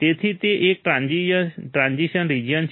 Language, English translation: Gujarati, So, it is a transition region